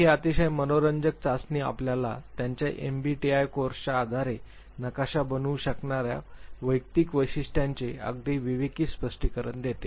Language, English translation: Marathi, So, this is very interesting test gives you very very discreet explanation of individual characteristics you can map based on their MBTI course